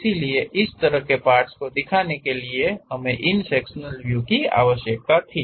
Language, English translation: Hindi, So, such kind of representation for that we required these sectional views